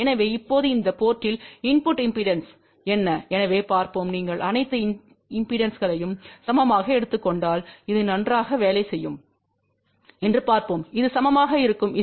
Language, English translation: Tamil, So, now what is the input impedance at this port, so let us say if you take all the impedances equal as we will see it works out fine so which is equal to Z